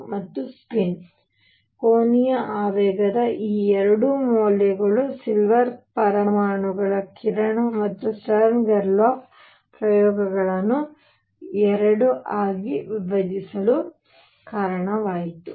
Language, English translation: Kannada, And by the way this 2 values of spin angular momentum are what gave rise to the split of the beam of silver atoms and Stern Gerlach experiments into 2